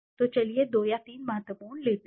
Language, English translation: Hindi, So let us take 2 or 3 important ones